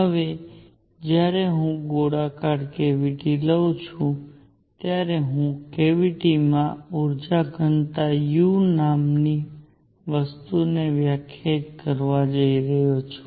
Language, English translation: Gujarati, Now when I take a spherical cavity I am going to define something called the energy density u in the cavity